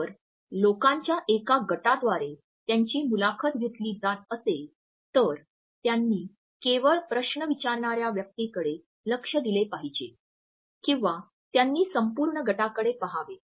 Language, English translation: Marathi, If they are being interviewed by a group of people then should they only focus on the person who is ask the question or should they look at the complete team